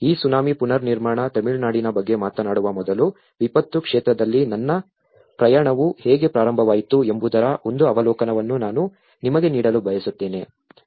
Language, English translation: Kannada, Before talking about this Tsunami Reconstruction Tamil Nadu, I would like to give you an overview of how my journey in the disaster field have started